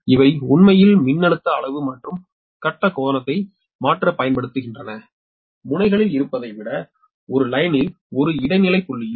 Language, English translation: Tamil, these are actually used to change the voltage, magnitude and phase angle right at an intermediate point in a line rather than at the ends right